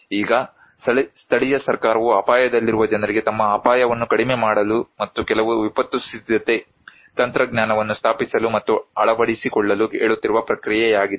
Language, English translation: Kannada, Now, this process that a local government is telling something to the people at risk to reduce their risk and to install and adopt some disaster preparedness technology